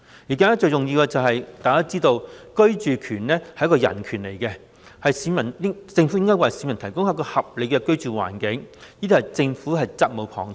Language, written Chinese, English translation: Cantonese, 大家都知道，居住權是人權，政府為市民提供合理的居住環境屬責無旁貸。, Everyone knows that the right to housing is a human right and it is the responsibility of the Government to provide a decent living environment for the public